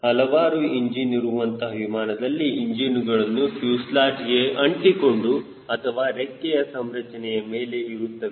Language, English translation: Kannada, in multi engine aircrafts the engines may either be in the fuselage, attached to the fuselage, or suspended from the wing structure